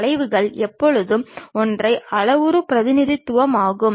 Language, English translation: Tamil, Curves are always be single parameter representation